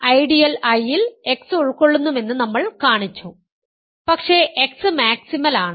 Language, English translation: Malayalam, We have shown that the ideal I contains X, but X is maximal